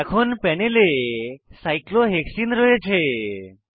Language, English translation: Bengali, We now have cyclohexene on the panel